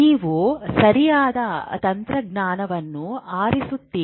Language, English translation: Kannada, You ask a right question, you choose the right technology